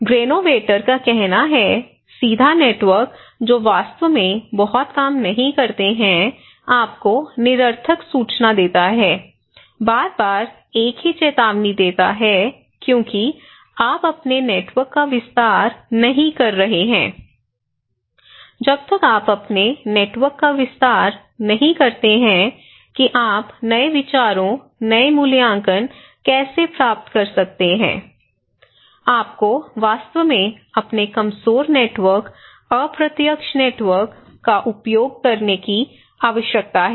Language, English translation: Hindi, Granovetter; he is saying no actually, a direct networks they do not really work much, this actually give you redundant informations, same informations again and again because you are not expanding your networks, unless you expand your networks how you can get new ideas, new evaluation, new reviews because you are always in the same one so, you need to actually collect, use your weak networks, indirect networks